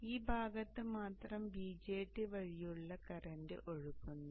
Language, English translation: Malayalam, So only during this portion, the current through the BJT flows